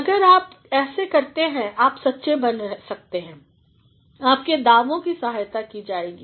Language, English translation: Hindi, So, if you do like this you are being honest and your claims are going to be supported